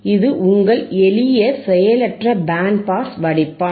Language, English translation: Tamil, This is your simple passive band pass filter